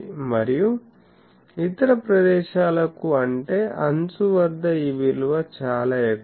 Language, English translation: Telugu, And, for other places that means, at the edge that is very high